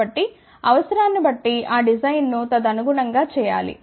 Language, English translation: Telugu, So, depending upon the requirement one should do that design accordingly